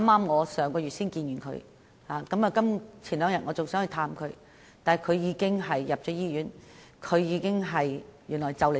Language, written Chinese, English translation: Cantonese, 我上月與她見面，數天前還想探望她，但她已經入院，更快將離世。, I met with her last month . A few days ago I wished to visit her but she had already been admitted to the hospital . Worse still she is about to pass away